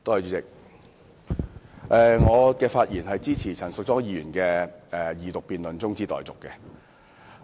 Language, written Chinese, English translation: Cantonese, 主席，我發言支持陳淑莊議員提出的二讀辯論中止待續議案。, President I speak to support the motion moved by Ms Tanya CHAN for the adjournment of the Second Reading debate